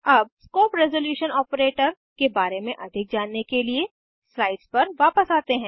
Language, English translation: Hindi, Now let us switch back to the slides to know more about the scope resolution operator